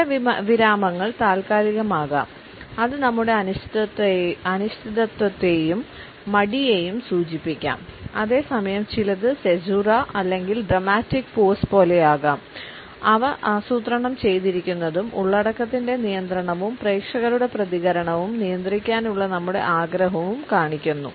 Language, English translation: Malayalam, Some pauses maybe temporary which may indicate our uncertainty and hesitation, whereas some other, maybe like caesura or the dramatic pauses, which are planned and show our control of the content and our desire to control the audience reaction